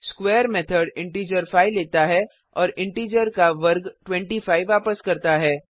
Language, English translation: Hindi, The square method takes an integer 5 and returns the square of the integer i.e